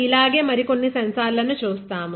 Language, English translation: Telugu, Like this we will see a few more sensors